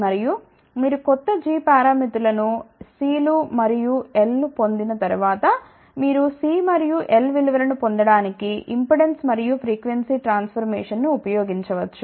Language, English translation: Telugu, And, once you get the new g parameters were C s and L s, then you can use the impedance and frequency transformation to get the values of C s and L